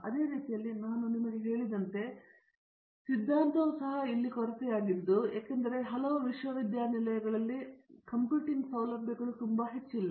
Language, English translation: Kannada, In the same way as I told you theory also is about lacuna here because computing facilities in many universities are not so high